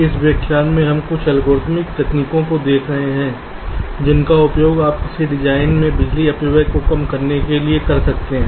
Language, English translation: Hindi, so in this lecture we shall be looking at some of the algorithmic techniques that you can use to reduce the power dissipation in a design